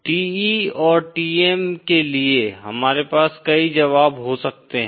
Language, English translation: Hindi, For TE and TM, we can have multiple solutions